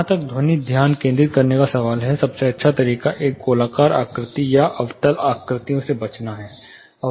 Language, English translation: Hindi, As far acoustic focusing is concerned, the best way is to avoid a circular shape or concave shapes